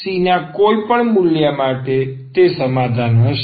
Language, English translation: Gujarati, For any value of C, that will be the solution